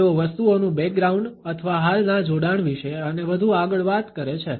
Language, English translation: Gujarati, They talk about the background of things or existing links and furthermore